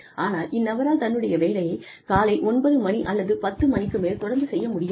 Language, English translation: Tamil, But, this person cannot report to his or her job, till about 9 in the morning, or 10 in the morning